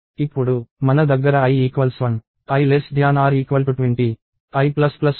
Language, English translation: Telugu, So, we had i equal to 1; i less than or equal to 20